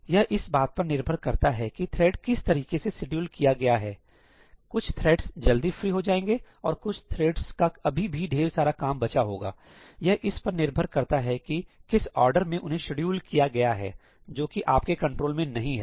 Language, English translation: Hindi, Depending on the way the threads are scheduled, some threads may get freed up early and some threads may have a lot of work still remaining, right depending on the order in which they are scheduled; that is not in your control